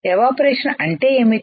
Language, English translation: Telugu, What is evaporation